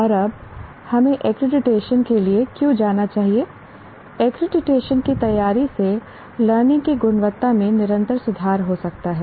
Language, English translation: Hindi, Preparing for accreditation can lead to continuous improvements to the quality of learning